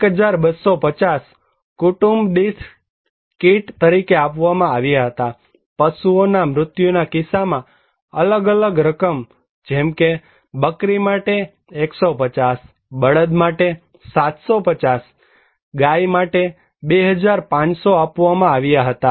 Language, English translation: Gujarati, 1250 rupees per family was given as the household kits was to provided and in case of cattle death, different amount of money was given like for goat 150, for bull 750 rupees, for cow 2500 like that